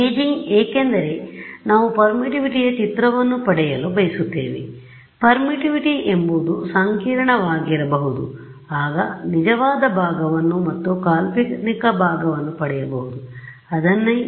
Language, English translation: Kannada, Imaging because we want to get an image of permittivity and permittivity may be complex does not matter, I will get a real part and I will get an imaginary part